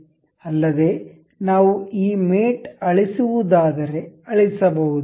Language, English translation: Kannada, Also we can delete this mate as delete